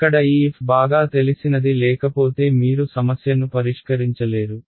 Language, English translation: Telugu, This f over here had better be known otherwise you cannot solve the problem